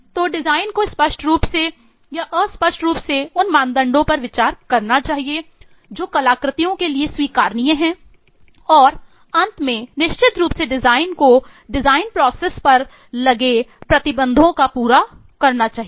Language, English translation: Hindi, So design must implicitly and explicitly consider the criteria that are acceptable for the artifacts and finally and last but not the least is certainly design must satisfy the restriction on the design process itself